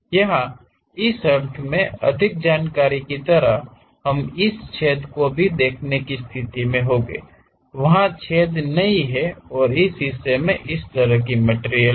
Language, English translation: Hindi, Here more information in the sense like, we will be in a position to really see that hole, that hole is not there and this portion have the same material as this